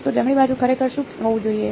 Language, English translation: Gujarati, So, what should the right hand side actually be